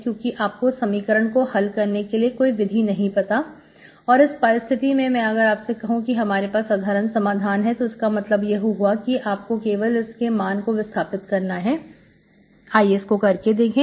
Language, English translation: Hindi, Because you do not know any method how to solve, now do you say that, if I say that this equation has a solution, which means you can only simply substitute and see, okay